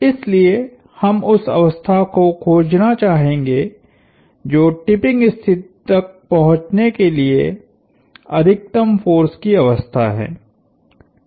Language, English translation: Hindi, So, we would like to find the condition, the maximum force condition to reach tipping condition